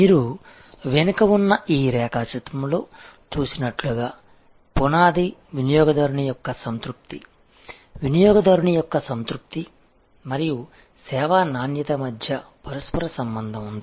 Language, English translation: Telugu, As you see in this diagram at the back, the foundation is customer satisfaction; there is a correlation between customer satisfaction and service quality